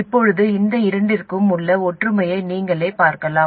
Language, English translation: Tamil, Now you can see the similarities between these two